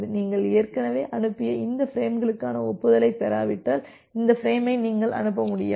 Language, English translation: Tamil, So, you cannot transmit this frame unless you are receiving the acknowledgement for this frames which you have already transmitted